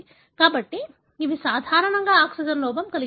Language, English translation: Telugu, So these are, normally deficient for the oxygen